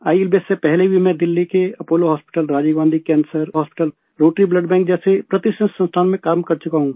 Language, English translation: Hindi, Even before ILBS, I have worked in prestigious institutions like Apollo Hospital, Rajiv Gandhi Cancer Hospital, Rotary Blood Bank, Delhi